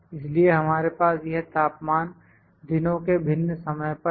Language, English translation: Hindi, So, we have these temperatures at different times in the days